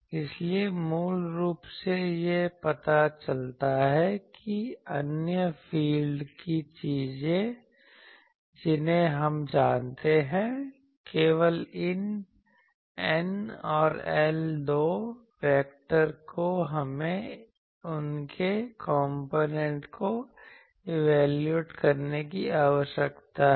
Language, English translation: Hindi, So, basically it shows that other field things we know, only this N and L these two vectors we need to evaluate their components